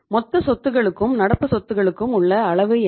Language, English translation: Tamil, So what is the extent of current asset to total assets right